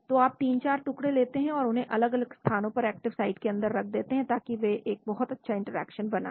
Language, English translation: Hindi, So you take 3, 4 pieces and place them in different places inside the active site, so that they create a very good interaction